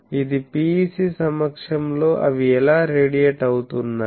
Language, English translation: Telugu, So, this is a in presence of PEC how they are radiating